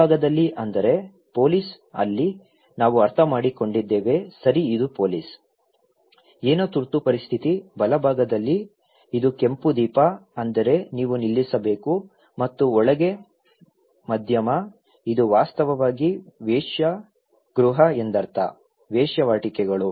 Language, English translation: Kannada, In the left hand side, it means there is a police, there we understand that okay this is the police, something is an emergency, in the right hand side, it is the red light that means you have to stop and in the middle, it means actually a brothel; the prostitutions